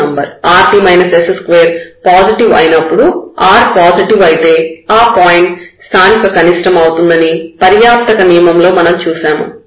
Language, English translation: Telugu, And remember in the sufficient conditions we have seen that if rt minus s square is positive, when r is positive then this is a point of local minimum